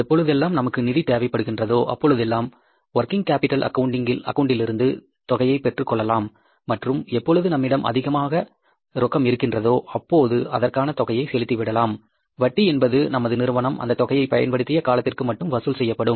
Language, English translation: Tamil, Whenever we need the funds, we borrow from our working capital account and whenever we have the surplus funds available we can deposit interest is charged only for the period for which the funds are used by the business